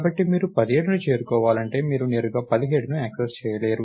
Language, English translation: Telugu, So, if you want to reach 17, you cannot access 17 directly